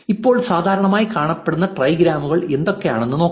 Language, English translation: Malayalam, Now, let see what are the most commonly appearing trigrams